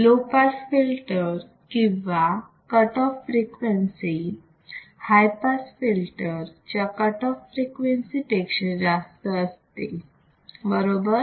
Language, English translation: Marathi, The cutoff frequency or corner frequency of low pass filter is higher than the cutoff frequency of high pass filter right